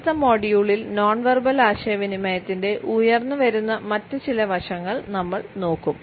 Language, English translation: Malayalam, In our next module, I would take up certain other emerging aspects of non verbal communication